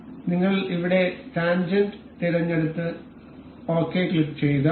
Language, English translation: Malayalam, So, we will select tangent over here and click ok